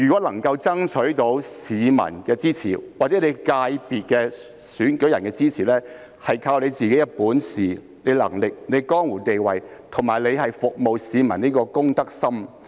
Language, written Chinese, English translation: Cantonese, 能夠爭取市民或所屬界別的選舉人的支持，是靠自己的本事、能力、江湖地位，以及服務市民的公德心。, Whether someone can win the support of members of the public or electors in his sector depends on his own ability competence standing and public spirit to serve the community